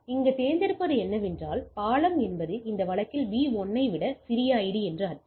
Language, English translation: Tamil, So, what we select here that the bridge means smallest ID than in this case B1 as the root bridge